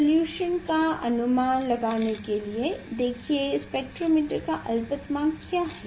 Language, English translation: Hindi, how to estimate that resolution I can tell you what is the least count for the spectrometer